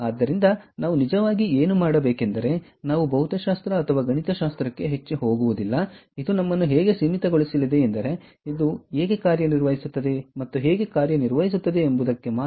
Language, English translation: Kannada, actually, what we will do is we are not going to get too much into ah, physics or mathematics, we are going to limit ourselves only to how this functions, what are the components, and so on